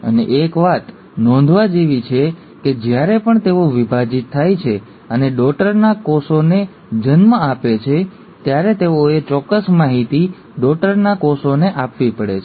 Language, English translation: Gujarati, And one point to be noted, is that every time they divide and give rise to the daughter cell, they have to pass on the exact information to the daughter cell